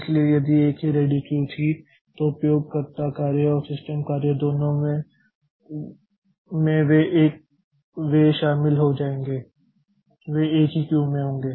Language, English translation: Hindi, So, if there was a single ready queue then both the user jobs and the system jobs they will be joining the they will be in the same queue